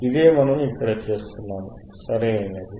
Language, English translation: Telugu, This is what we are doing here, right